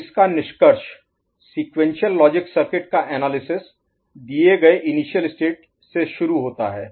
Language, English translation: Hindi, So to conclude, analysis of sequential logic circuit begins with specified assumed initial state